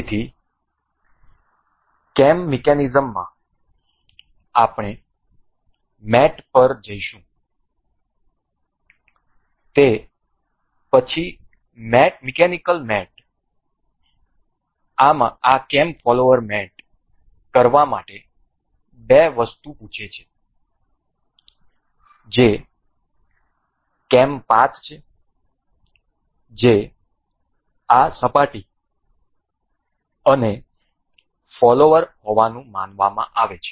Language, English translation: Gujarati, So, in the cam mechanism we will go to mate, then mechanical mates this cam this cam follower asks of the two things that is cam path that is supposed to be this surface and the follower